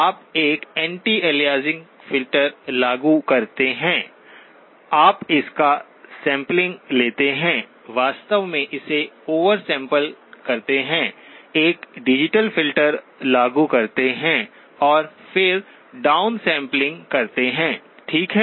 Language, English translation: Hindi, You apply an anti aliasing filter, you sample it, in fact oversample it, apply a digital filter and then down sample, okay